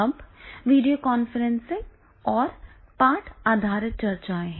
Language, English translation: Hindi, Now here the video conferencing and and text based discussions are there